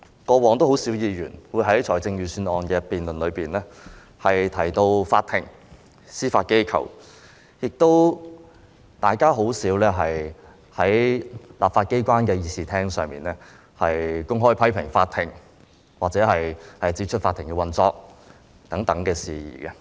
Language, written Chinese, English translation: Cantonese, 過往，很少議員會在預算案辯論中提到法庭、司法機構，亦很少在立法機關的議事廳上公開批評法庭或談論法庭的運作等事宜。, In the past very few Members would mention the Court and the Judiciary during Budget debates . It was also seldom for Members to make open criticisms of the Court or to discuss matters such as the operation of the Court